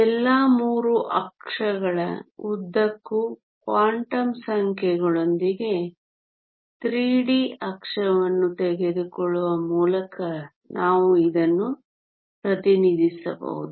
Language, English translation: Kannada, We can represent this by taking a 3 d axis with the quantum numbers along all 3 axis